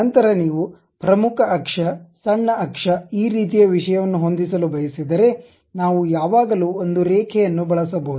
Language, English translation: Kannada, Then, you want to adjust the major axis, minor axis these kind of thing, then we can always we can always use a Line